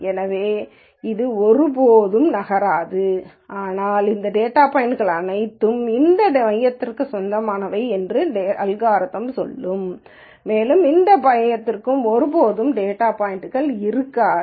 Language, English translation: Tamil, So, this will never move, but the algorithm will say all of these data points belong to this center and this center will never have any data points for it